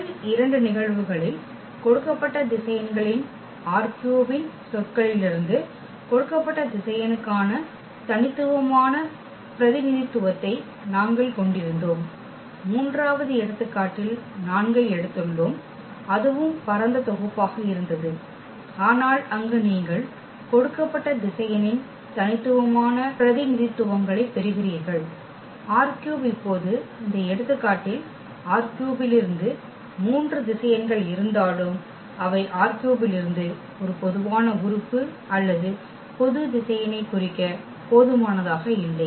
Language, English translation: Tamil, In the first two cases we had a unique representation for a given vector from R 3 in terms of the given vectors, in the third example where we have taken 4 that was also spanning set, but there you are getting non unique representations of a given vector from R 3 and now in this example though we have three vectors from R 3, but they are not sufficient to represent a general element or general vector from R 3